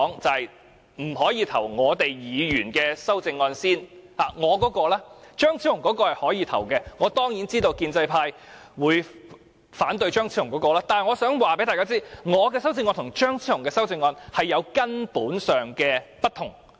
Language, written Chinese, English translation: Cantonese, 張超雄議員的修正案是可以進行表決的，我當然知道建制派會反對他的修正案，但我想告訴大家，我的修正案與張超雄議員的修正案有根本上的不同。, Dr Fernando CHEUNGs amendment can be put to the vote . I certainly know that the pro - establishment camp will vote against his amendment but I would like to tell Members that my amendments are fundamentally different from that of Dr Fernando CHEUNG